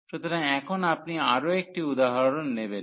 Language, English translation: Bengali, So, now you will take one more example